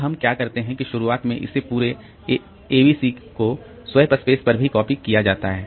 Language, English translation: Hindi, Now, what we do is that at the very beginning this entire ABC is copied onto the swap space also